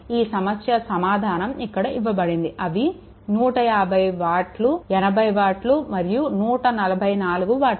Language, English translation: Telugu, Next, these answers are given 150 watt; 80 watt; and 144 watt respectively answers are given